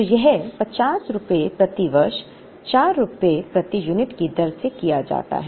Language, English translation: Hindi, So, this 50 is carried at the rate of rupees 4 per unit per year